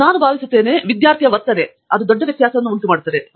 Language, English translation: Kannada, One, I think is the attitude, attitude the student’s attitude makes a big difference